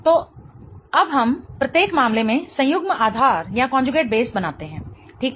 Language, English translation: Hindi, So, now let us draw the conjugate base in each case